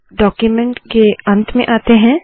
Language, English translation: Hindi, Lets go to the end of the document